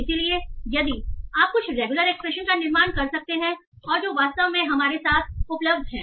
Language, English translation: Hindi, So, if we can build some regular expressions and that are actually available with us